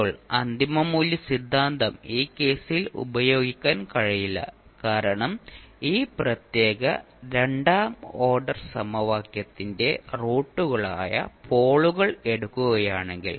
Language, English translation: Malayalam, Now the final value theorem cannot be used in this case because if you take the poles that is the roots of this particular second order equation